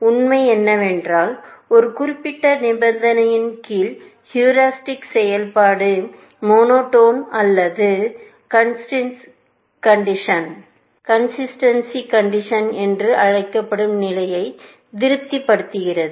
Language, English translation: Tamil, We are saying that, under certain condition, which is this fact that heuristic function satisfies this condition which is called monotone or consistency condition